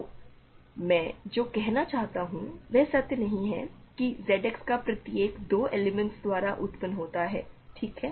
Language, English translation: Hindi, So, the statement now I want to it is not true that every element of Z X is generated by 2 elements ok